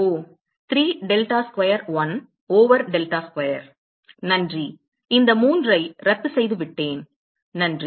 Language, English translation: Tamil, Oh 3 delta square 1 over delta square, thanks; I cancelled out this 3, thanks